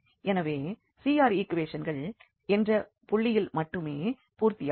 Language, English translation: Tamil, So, CR equations do not hold at any other point except z is 0